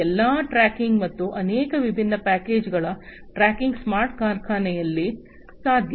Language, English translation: Kannada, So, all these tracking, and from multiple points tracking of these different packages would be possible in a smart factory